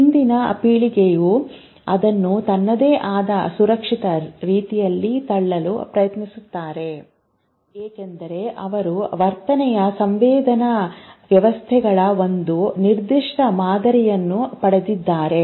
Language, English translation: Kannada, The previous generation tries to push it in its own secure way because they have got a certain pattern of behavior